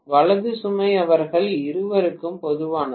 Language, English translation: Tamil, Right The load is common to both of them